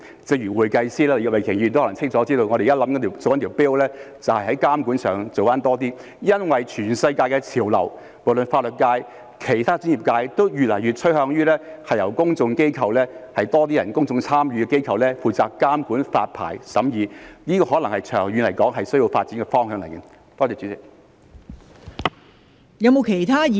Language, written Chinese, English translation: Cantonese, 正如會計師，越來越多人清楚知道我們正在推動的一項 bill， 就是在監管上多做一些工夫，因為全世界的潮流，不論是法律界或其他專業界別，均越來越趨向由有更多公眾參與的公共機構負責監管發牌和審議工作，長遠來說，這可能是需要發展的方向。, As in the case of accountants more and more people are aware that we are pushing forward a bill to make more efforts in regulation . It is because the global trend be it in the legal sector or other professional sectors is increasingly moving towards having a public body with more public participation responsible for the regulation of licensing and scrutiny . This may be the way forward in the long run